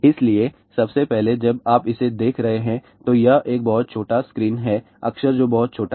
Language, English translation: Hindi, So, first of all when you are looking at it, it is a very small screen characters are very small